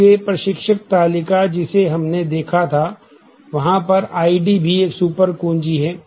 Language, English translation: Hindi, So, the instructor table that we have seen, I D is a super key similarly